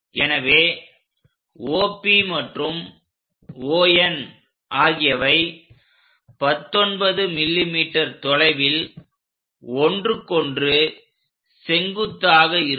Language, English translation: Tamil, So, OP and ON are perpendicular with each other, but that is at 19 mm distance